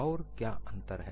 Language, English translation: Hindi, And what is the difference